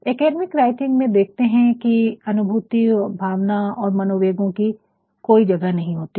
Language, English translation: Hindi, In academic writing you will find there is no scope for all these emotions, feelings, psyche etcetera